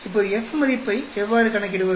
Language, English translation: Tamil, Now, how do I calculate F value